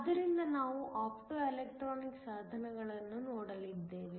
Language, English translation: Kannada, So, we are going to look at Optoelectronic devices